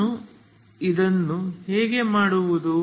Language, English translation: Kannada, How do I do this